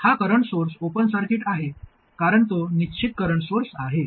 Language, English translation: Marathi, This current source is an open circuit because it is a fixed current source